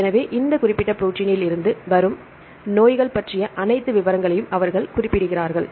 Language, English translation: Tamil, So, they mention all the details about the diseases from this particular protein